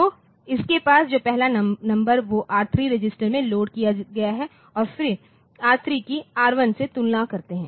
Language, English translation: Hindi, So, the first number that you have is loaded into the R3 register then we compare R3 with R1, ok